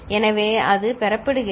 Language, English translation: Tamil, So, that is getting 0